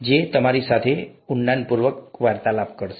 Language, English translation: Gujarati, They will interact heavily with you